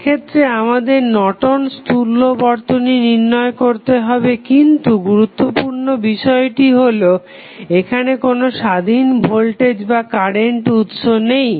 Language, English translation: Bengali, In this case, we need to find out the Norton's equivalent, but the important thing which we see here that this circuit does not have any independent voltage or current source